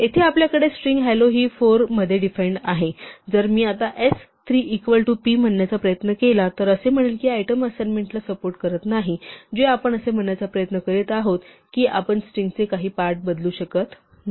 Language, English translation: Marathi, Here we have the string hello defined in four, and if I now try to say s 3 is equal to p, then it says this does not support item assignment, which is what we are trying to say you cannot change parts of a string as it stands